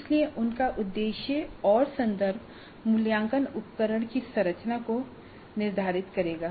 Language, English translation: Hindi, So, they have a purpose and a context and that will determine the structure of the assessment instrument